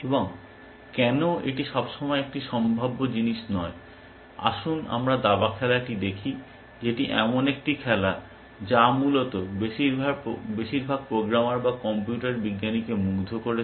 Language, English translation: Bengali, And why is that not always a feasible thing, let us look at the game of chess, which is been the game, which has fascinated most programmers or computer scientist essentially